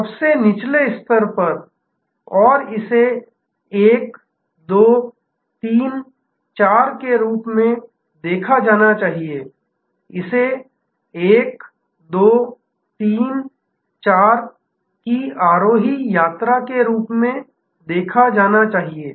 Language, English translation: Hindi, So, at the lowest level and it should be seen as this 1, 2, 3, 4, this should be seen as an ascending journey 1, 2, 3, 4